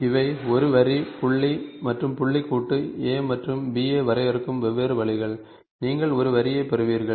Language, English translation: Tamil, And these are different ways you define a line, point and point joint A and B, you get a line